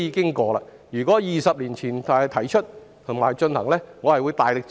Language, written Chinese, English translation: Cantonese, 如果這項建議在20年前提出，我會大力支持。, Had this proposal been put forward 20 years ago I would have expressed strong support